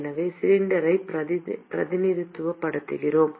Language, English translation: Tamil, So, let us represent the cylinder